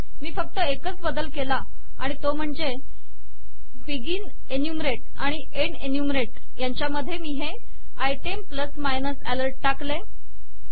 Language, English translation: Marathi, The only difference that I have done now is that between begin enumerate and end enumerate I have put this item plus minus alert